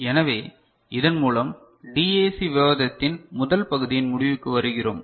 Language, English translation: Tamil, So, with this we come to the conclusion of the first part of the DAC discussion